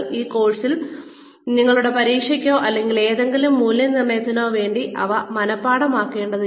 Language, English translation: Malayalam, Again, you are not required to memorize these, for your test or whatever evaluation will be happening, later on, in the course